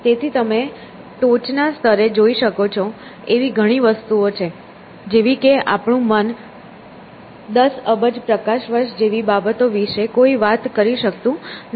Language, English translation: Gujarati, So, you can see at the top most level, there are very things that we cannot I mean our mind bowels to talk about something like ten billion light years